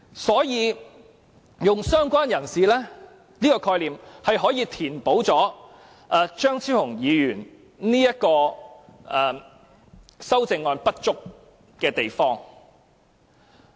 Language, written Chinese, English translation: Cantonese, 所以，"相關人士"的概念可填補張超雄議員的修正案的不足之處。, For this reason the concept of related person can make up for the inadequacy of Dr Fernando CHEUNGs amendment